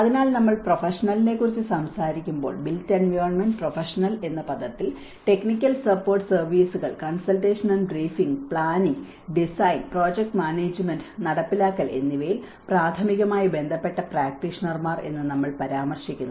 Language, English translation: Malayalam, So, when we talk about the professional, who is a professional, the term built environment professional includes those we refer to as practitioners primarily concerned with providing technical support services, consultation and briefing, design, planning, project management, and implementation